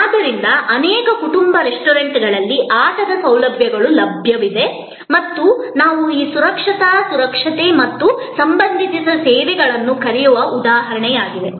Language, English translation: Kannada, So, there are play facilities available in many family restaurants and that is an example of what we call this safety security and related services